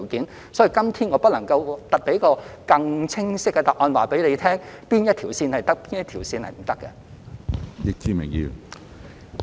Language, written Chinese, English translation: Cantonese, 因此，今天我不能夠給予一個更清晰的答案，指明哪一條線可以，哪一條線不可以。, Therefore today I cannot give a clearer answer by specifying which routes can and which routes cannot